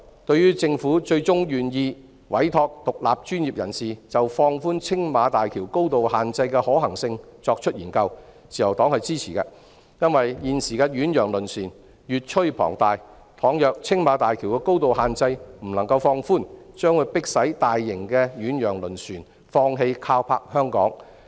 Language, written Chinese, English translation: Cantonese, 對於政府最終願意委託獨立專業人士就放寬青馬大橋高度限制的可行性進行研究，自由黨是支持的，因為現時的遠洋輪船越趨龐大，假如青馬大橋的高度限制未能放寬，將迫使大型遠洋輪船放棄靠泊香港。, The Liberal Party supports the Governments eventual decision to commission independent professionals to conduct a feasibility study on relaxation of the height limit of the Tsing Ma Bridge . Given the increasingly large size of ocean - going vessels if the height limit of the Tsing Ma Bridge cannot be relaxed sizable ocean - going vessels will then be forced to give up berthing at Hong Kong